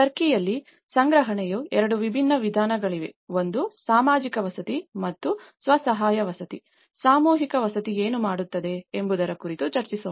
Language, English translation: Kannada, In turkey, there are 2 different methods of procurement; one is mass housing and the self help housing, let’s discuss about what a mass housing talks about